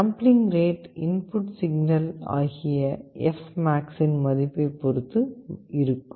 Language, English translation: Tamil, This of course depends on an input signal, what is the value of fmax